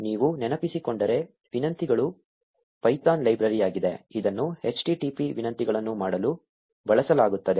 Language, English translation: Kannada, If you recall, requests is the python library, which is used to make http requests